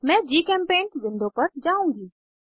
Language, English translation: Hindi, I will switch to GChemPaint window